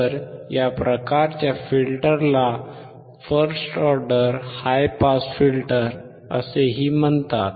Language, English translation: Marathi, So, this type of filter is also called first order high pass filter